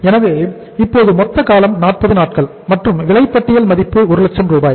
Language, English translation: Tamil, So now the total time period is 40 days and invoice value is 1 lakh rupees